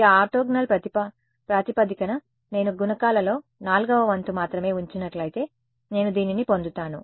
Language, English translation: Telugu, In this orthogonal basis, if I keep only one fourth of the coefficients only one fourth I get this